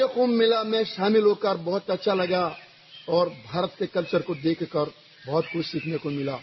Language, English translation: Hindi, I felt good on being a part of Kumbh Mela and got to learn a lot about the culture of India by observing